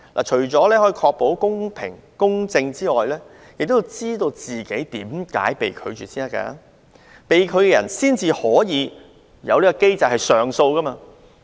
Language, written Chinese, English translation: Cantonese, 除可確保公平公正外，也讓申請人知道自己為何被拒，從而按機制提出上訴。, Apart from ensuring fairness and justice this practice allows the applicant to know why his application was rejected and consider whether he should file an appeal under the existing mechanism